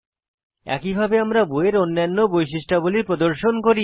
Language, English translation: Bengali, Similarly we display other attributes of the book